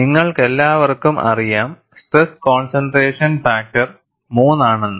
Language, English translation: Malayalam, All of you know that the stress concentration factor is 3